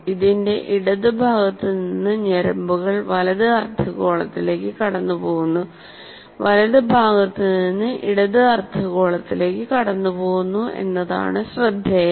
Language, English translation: Malayalam, Interestingly, nerves from the left side of the body cross over to the right hemisphere and those from the right side of the body cross over to the left hemisphere